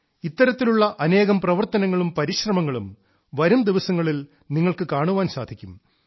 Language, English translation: Malayalam, In the days to come, you will get to see many such campaigns and efforts